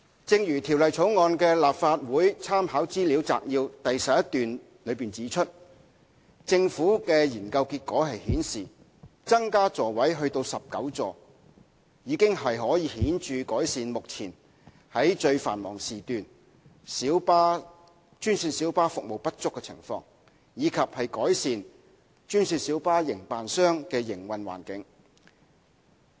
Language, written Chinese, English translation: Cantonese, 正如《條例草案》的立法會參考資料摘要第11段中指出，政府的研究結果顯示，增加座位至19個已可顯著改善目前在最繁忙時段專線小巴服務不足的情況，以及改善專線小巴營辦商的營運環境。, As set out in paragraph 11 of the Legislative Council Brief on the Bill the findings of government study suggest that the situation of GMB service shortage during the peakiest one hour can be significantly improved by increasing the number of seats to 19 and the operating environment of GMB operators can also be improved